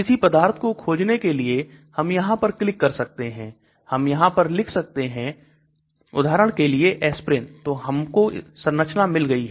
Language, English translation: Hindi, So search for a substance; so I can type, say for example aspirin, so we find structure